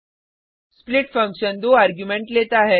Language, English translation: Hindi, split function takes two arguments